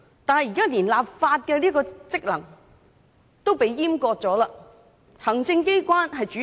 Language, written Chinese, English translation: Cantonese, 但現在連立法職能也遭閹割，由行政機關主導。, But now led by the executive authorities the Legislative Council has even had its functions castrated